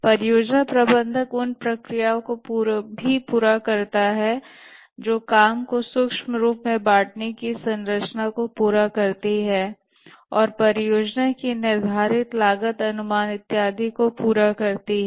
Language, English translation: Hindi, The project manager also carries out the planning processes that is completes the work breakdown structure and performs the project schedule, cost estimation and so on